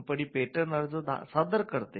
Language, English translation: Marathi, Who can apply for patents